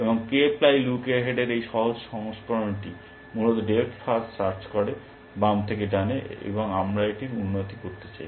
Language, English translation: Bengali, And this simple version of k ply look ahead is essentially doing depth first search, left to right and we want to improve upon that essentially